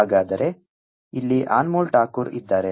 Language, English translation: Kannada, so here is anmol takur